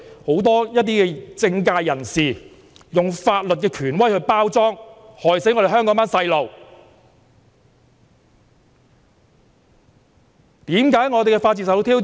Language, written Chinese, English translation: Cantonese, 很多政界人士便是用法律權威作為包裝，害死香港的年輕人。, Many political figures posed as persons with legal authority have poisoned young people of Hong Kong